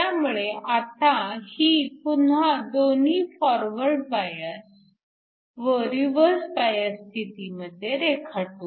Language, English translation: Marathi, So, we can again draw this in both forward and reverse biased